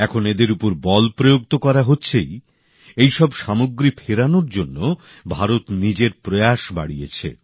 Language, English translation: Bengali, Now not only are they being subjected to heavy restrictions; India has also increased her efforts for their return